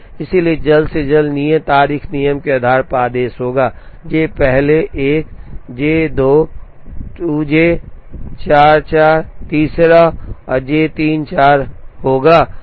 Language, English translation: Hindi, So, based on the earliest due date rule the order will be J first 1 J 2 2nd J 4 3rd and J 3 will be the 4th